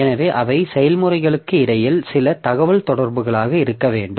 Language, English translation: Tamil, So, there has to be some communication between the processes